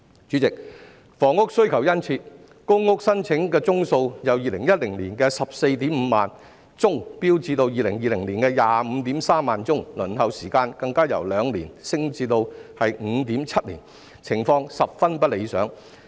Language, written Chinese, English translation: Cantonese, 主席，房屋需求殷切，公屋申請宗數由2010年的 145,000 宗飆升至2020年的 253,000 宗，輪候時間更由2年升至 5.7 年，情況十分不理想。, President there is a strong demand for housing . The number of applications for public rental housing has soared from 145 000 cases in 2010 to 253 000 cases in 2020 and the waiting time has even increased from 2 years to 5.7 years